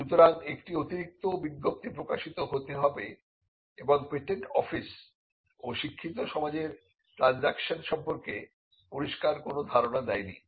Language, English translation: Bengali, So, there has to be an additional notification that comes out and the patent office has also not made clear as to what amounts to transactions of a learned society